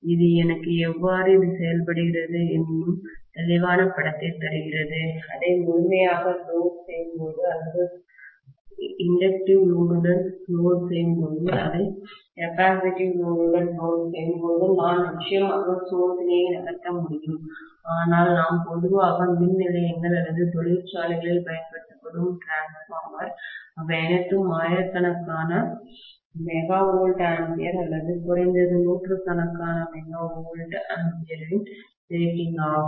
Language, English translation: Tamil, That will give me a clear picture of how it is behaving when I load it to the fullest extent or when I load it with inductive load, when I load it with capacitive load, I can definitely conduct the test, but the transformers normally we use in the power stations or industries, they are all of the rating of thousands of MVA or at least hundreds of MVA